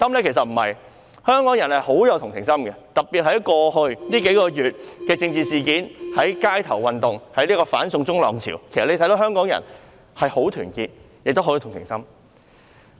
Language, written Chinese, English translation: Cantonese, 其實不是，香港人富有同情心，特別在過去數個月的政治事件、街頭運動、"反送中"浪潮上，其實大家可以看到香港人是十分團結亦有同情心的。, The answer is actually in the negative . Hong Kong people are sympathetic especially in the political issues over the past few months such as the street movements and the wave of anti - extradition law . As we have observed in fact Hong Kong people are both highly united and sympathetic